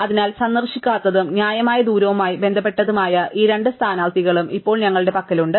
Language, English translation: Malayalam, So, we have these two candidates now which are not visited and which have some reasonable distance associated